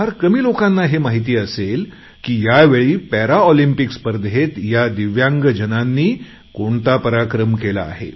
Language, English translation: Marathi, Only very few people might be knowing as to what stupendous feats were performed by these DIVYANG people in the Paralympics this time